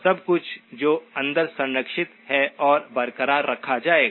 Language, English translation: Hindi, Everything that is preserved inside is what will be retained